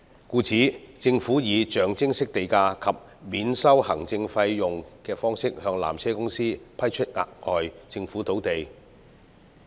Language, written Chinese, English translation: Cantonese, 故此，政府以象徵式地價及免收行政費用的方式向纜車公司批出額外政府土地。, The additional Government land will therefore be granted to PTC at nominal land premium and nil administrative fee